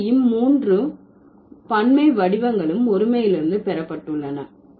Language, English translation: Tamil, So, all the three plural forms have been derived from the singular ones